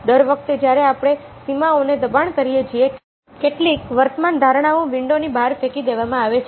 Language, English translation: Gujarati, every time we push the boundaries, some existing assumptions are thrown out of the window